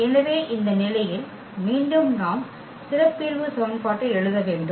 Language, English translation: Tamil, So, in this case again we need to write the characteristic equation